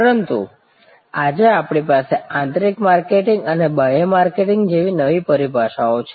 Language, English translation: Gujarati, As a result today we have new terminologies like say internal marketing and external marketing